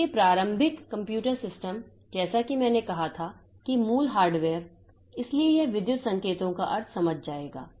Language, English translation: Hindi, So, initial computer systems as I said that the basic hardware, so it will understand the meaning of electrical signals